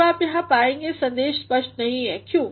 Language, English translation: Hindi, Now, you will find here the message is not clear, why